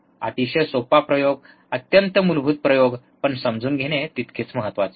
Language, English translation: Marathi, Very easy experiment, extremely basic experiment, but important to understand